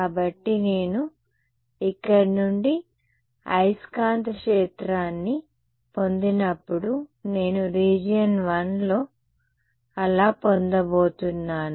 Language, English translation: Telugu, So, when I get the magnetic field from here, I am going to get so, in region 1